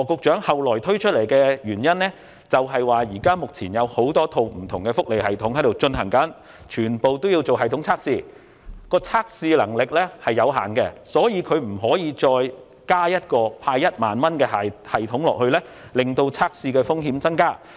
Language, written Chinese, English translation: Cantonese, 之後，羅局長又表示，目前有多套不同的福利系統均須進行系統測試，但測試能力有限，因此不能增設派發1萬元的系統，免致測試風險增加。, After that Secretary Dr LAW further said that since many different welfare systems had to undergo system tests but the testing capacity was limited so it was not possible to add another system dedicated to giving the cash handout of 10,000 to avoid increasing testing risk